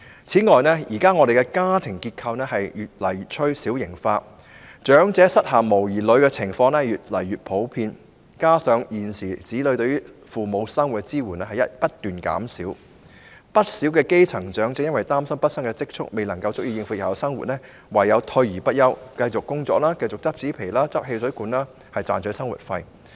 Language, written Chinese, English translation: Cantonese, 此外，現時的家庭結構越趨小型化，長者膝下無兒女的情況越來越普遍，再加上現時子女對父母生活的支援不斷減少，不少基層長者由於擔心畢生積蓄不足以應付日後生活，唯有退而不休，繼續工作，靠執拾紙皮和汽水罐賺取生活費。, In addition due to the smaller family size nowadays it is more common for elderly people to have no children . Coupled with the fact that the support provided by sons and daughters to their parents living is diminishing many grass - roots elderly people are worried that their lifelong savings will be insufficient to support their living in the future such that they would continue to work after retirement and earn living expenses by scavenging for cardboards and soft drink cans